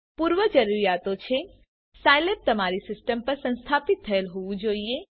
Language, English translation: Gujarati, The prerequisites are Scilab should be installed on your system